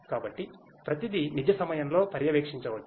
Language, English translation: Telugu, So everything can be monitored in real time